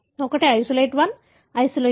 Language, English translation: Telugu, One is isolate 1, isolate 2